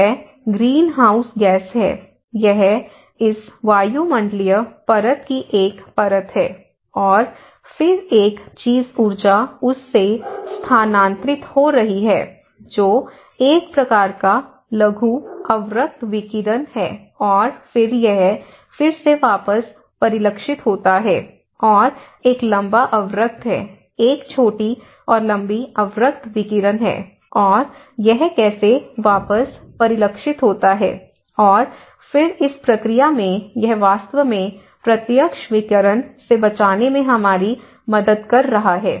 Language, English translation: Hindi, So, now we are getting and this is the greenhouse gas, it is a layer of this atmospheric layer, and then one thing is the energy is transferring from this which is a kind of short infrared radiation and then, this is again reflected back, and there is a long infrared; there is a short and long infrared radiations and how it is reflected back, and then in this process this is actually helping us to protect from the direct radiation